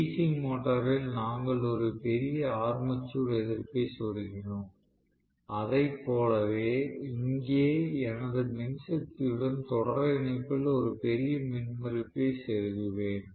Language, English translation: Tamil, In DC motor we inserted a large armature resistance; similar to that I will insert a large impedance in series with my power supply